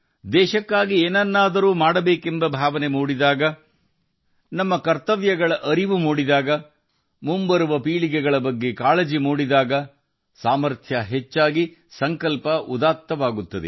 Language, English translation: Kannada, When there is a deep feeling to do something for the country, realize one's duties, concern for the coming generations, then the capabilities also get added up, and the resolve becomes noble